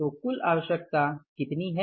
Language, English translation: Hindi, So what what is the total requirement